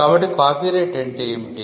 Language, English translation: Telugu, So, what is a copyright